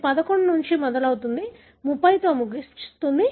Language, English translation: Telugu, It starts from 11, ends with 30 and so on